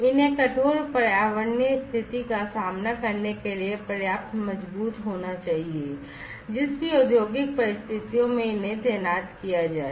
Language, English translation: Hindi, They have to be robust enough to withstand the harsh environmental condition the industrial conditions in which they are going to be deployed